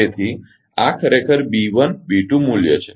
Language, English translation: Gujarati, So, this is actually B 1 and B 2 value